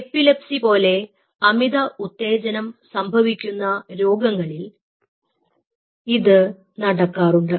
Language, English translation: Malayalam, of course it does happen in people who suffers from hyper excitable disorders like epilepsy